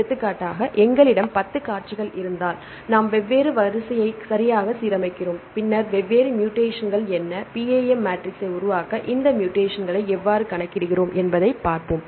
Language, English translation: Tamil, For example, if we have the 10 sequences we align the different sequence right and then see what are the different mutations and how we account these mutations to construct the PAM matrix